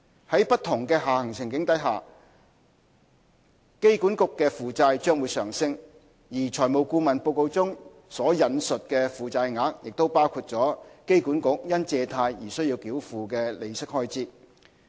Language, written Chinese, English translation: Cantonese, 在不同下行處境下，機管局的負債將會上升，而財務顧問報告中引述的負債額已包括機管局因借貸而須繳付的利息開支。, The debts of AA will increase under these downside scenarios . The debt levels quoted in the financial advisors report have already included the interest expenses payable by AA on its borrowings